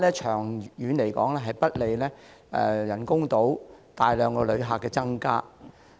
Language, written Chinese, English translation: Cantonese, 長遠來說，該做法不利口岸人工島增加大量旅客。, In the long term this approach does not facilitate the significant increase of visitors on the BCF Island